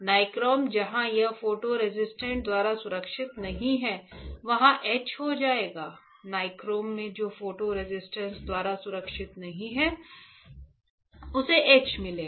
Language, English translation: Hindi, The nichrome where it is not protected by the photo resist will get etch; in nichrome which is not protected by photo resist will get etch right